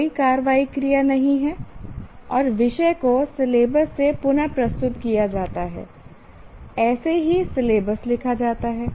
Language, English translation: Hindi, There is no action verb and essentially from from the syllabus is reproduced